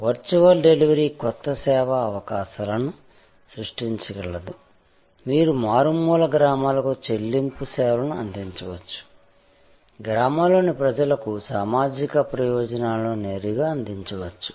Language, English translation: Telugu, The virtual delivery can create new service opportunities, you can take payment services to interior villages, you can create direct delivery of social benefits to people in villages